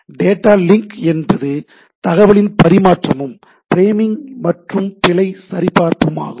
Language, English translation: Tamil, Data link is a transfer of units of information, framing and error checking